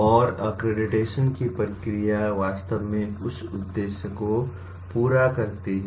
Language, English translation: Hindi, And the process of accreditation really serves that purpose